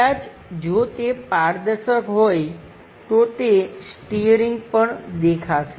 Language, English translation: Gujarati, Perhaps if it is transparent the steering that also will be visible